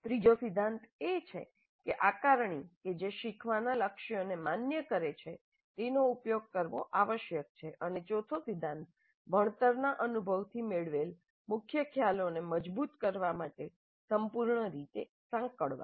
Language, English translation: Gujarati, The third principle is that assessments that validate the learning goals must be used and the fourth principle is thorough debriefing to consolidate the key concepts gained from the learning experience